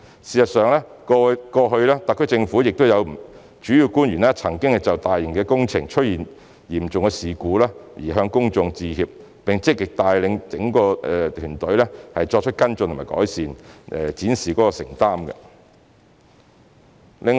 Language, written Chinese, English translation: Cantonese, 事實上，過往特區政府亦有主要官員曾就大型工程出現嚴重事故向公眾致歉，並積極帶領整個團隊作出跟進和改善，展示他們的承擔。, In fact some principle officials of the SAR Government have made public apologies for certain serious incidents involving major construction works in the past and have proactively led their whole teams to take follow - up and improvement actions reflecting their commitment to their jobs